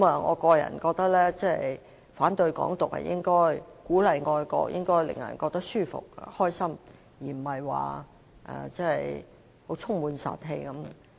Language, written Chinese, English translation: Cantonese, 我個人認為反對"港獨"是應該的，鼓勵愛國是應該令人覺得舒服和高興的，而非充滿殺氣的樣子。, I consider that we should oppose to the independence of Hong Kong and the fact that encouraging patriotism should make people feel comfort and happiness instead of a bellicose stance